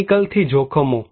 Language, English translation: Gujarati, Dangers from chemical